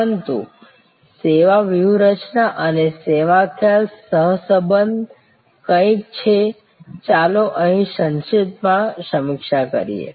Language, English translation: Gujarati, But, service strategy and service concept correlation is something, let us briefly review here